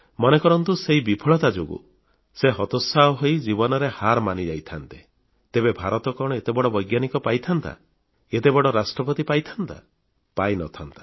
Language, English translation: Odia, Now suppose that this failure had caused him to become dejected, to concede defeat in his life, then would India have found such a great scientist and such a glorious President